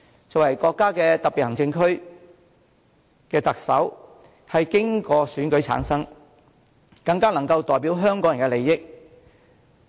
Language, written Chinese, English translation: Cantonese, 作為國家特別行政區的特首，經由選舉產生，更能代表香港人的利益。, Returned by election the Chief Executive of this Special Administrative Region of the country is better able to stand for the interests of Hong Kong people